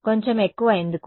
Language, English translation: Telugu, Little bit more, why